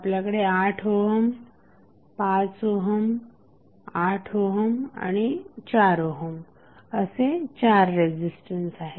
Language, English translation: Marathi, So, we have four resistances of 8 ohm, 5 ohm again 8 ohm and 4 ohm